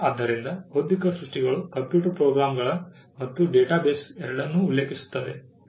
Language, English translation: Kannada, So, intellectual creations refer to both computer programs and data bases